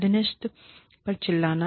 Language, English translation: Hindi, Yelling at the subordinate